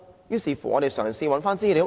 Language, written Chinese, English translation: Cantonese, 於是，我們嘗試尋找資料。, So we have tried to look up relevant information